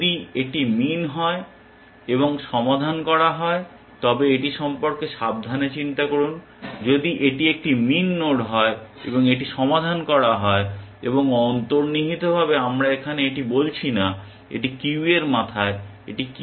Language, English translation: Bengali, If it is min and solved now, just think carefully about this, if it is a min node and it is solved and implicitly we are not saying this here, it is at the head of the queue, it is at the head of the queue